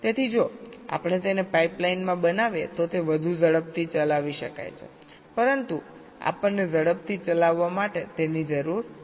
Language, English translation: Gujarati, so if we make it in a pipe line then it can be run faster, but we do not need it to run faster